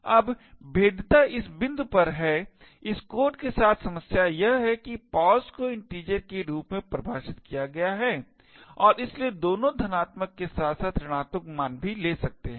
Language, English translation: Hindi, Now the vulnerability is at this point, problem with this code is that pos is defined as an integer and therefore can take both positive as well as negative values